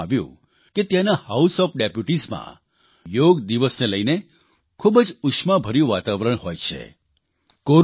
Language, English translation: Gujarati, I have been told that the House of Deputies is full of ardent enthusiasm for the Yoga Day